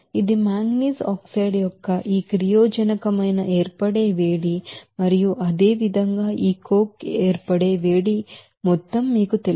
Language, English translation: Telugu, This is your heat of formation of this reactant of manganese oxide and similarly heat of formation of this coke it will be you know this amount